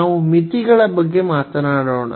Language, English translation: Kannada, So, let us talk about the limits